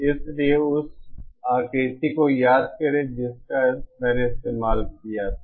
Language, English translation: Hindi, So recall that diagram that I had used